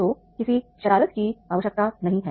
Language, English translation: Hindi, So no mischief is required